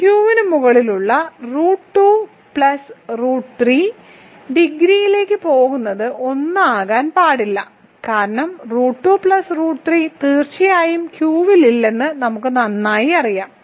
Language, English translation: Malayalam, Going over this going back to this degree of root 2 plus root 3 over Q cannot be 1 because, root 2 plus root 3 certainly we know very well is not in Q